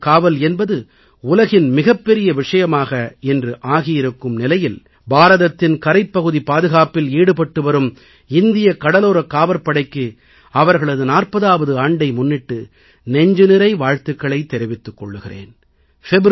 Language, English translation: Tamil, In the backdrop of the fact that maritime security today has become an issue of global concern and the excellence displayed by Coast Guard in securing India's coast line, I extend my heartiest felicitations to them on their 40th birthday